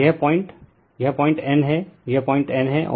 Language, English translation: Hindi, And this point this point is your N right, this point is your N